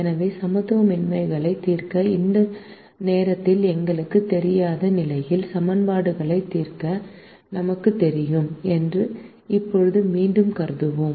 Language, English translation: Tamil, so at the moment, let's again assume that we know to solve equations, while we don't know at the moment to solve inequalities